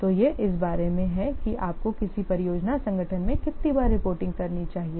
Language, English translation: Hindi, So, this is about how frequently you should do the reporting in a what project organization